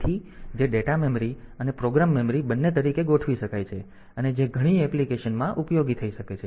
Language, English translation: Gujarati, So, which can be configured both as data memory and program memory so, that may be useful in many applications